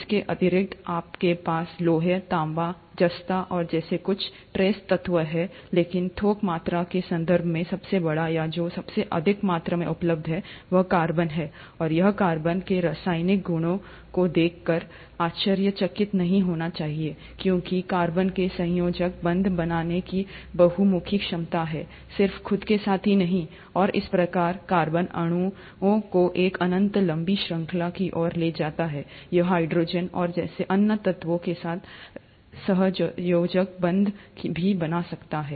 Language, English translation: Hindi, In addition to these, you do have some trace elements like iron, copper, zinc; but in terms of bulk quantity, the bulkiest, or the one which is available in most quantity is the carbon, and that should not be a surprise looking at the chemical properties of carbon, because carbon has a versatile ability to form covalent bonds, not just with itself, and thus lead to a infinite long chains of organic molecules, it can also form covalent bonds with other elements, like hydrogen and so on